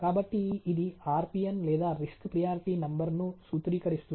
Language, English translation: Telugu, So, this formulate RPN of the risk priority numbers